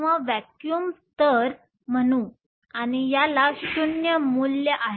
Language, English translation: Marathi, So, Let me call this the vacuum level and this has the value 0